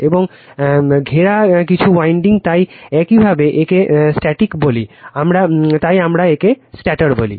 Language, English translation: Bengali, And surrounded by some winding so you call it is static, so we call it is stator